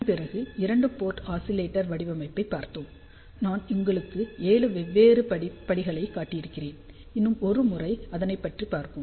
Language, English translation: Tamil, After this, we looked that two port oscillator design, I had shown you 7 different steps let us just go through it one more time, because oscillator design is crucial for many applications